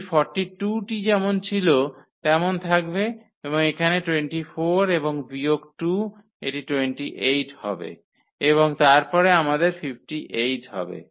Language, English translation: Bengali, This 42 will remain as it is and here the 24 and minus this 2, so this will be 28 and then we have 58 there